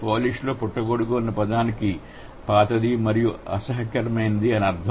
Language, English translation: Telugu, Similar is the case the word used in polish for mushroom means old and unpleasant